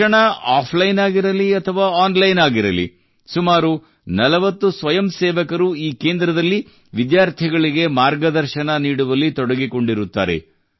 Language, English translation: Kannada, Be it offline or online education, about 40 volunteers are busy guiding the students at this center